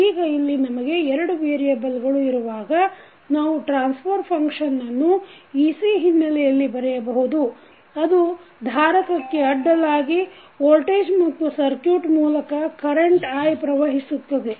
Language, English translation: Kannada, Now, since we have here 2 variables, so, we will, we can write the transfer function in terms of ec that is the voltage across capacitor and i that is current flowing through the circuit